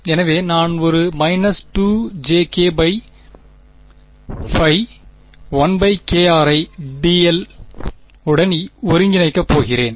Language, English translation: Tamil, So, I am going to get a minus 2 j k by pi into 1 by k r integrated over dl ok